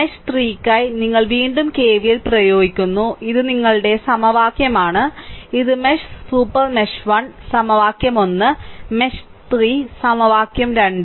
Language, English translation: Malayalam, And for, if you for mesh 3, you apply KVL again this is your equation, this is for mesh super mesh 1, the equation 1; and for mesh 3 equation 2